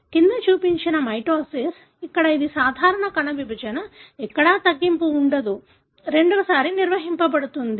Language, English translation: Telugu, What is shown below is mitosis, where it is a normal cell division, where there is no reduction, the 2n is maintained